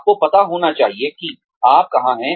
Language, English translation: Hindi, You should know, where you are headed